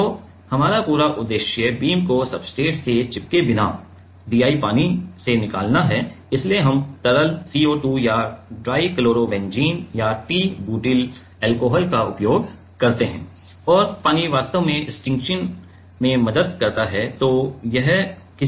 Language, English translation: Hindi, So, our whole aim is to remove DI water without making the beam stuck to the substrate so that is why we use liquid CO2 or dichlorobenzene or t butylalchohol and water actually helps in stiction